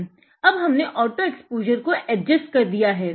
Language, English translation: Hindi, Now, I have adjusted the auto exposure